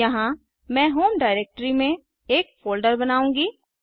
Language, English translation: Hindi, Here, in the home directory i will create a folder